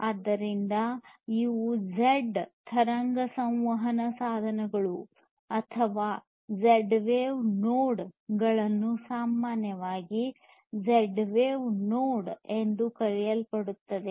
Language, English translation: Kannada, So, these are like these Z wave communication devices or the Z wave nodes commonly known as Z wave nodes